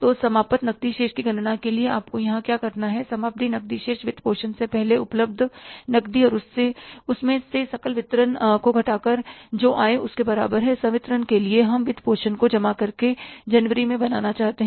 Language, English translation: Hindi, So, for calculating the ending cash balance, what you have to do here is ending cash is equal to the total cash available before financing minus the total disbursements for disbursements we want to make in the month of January plus cash from financing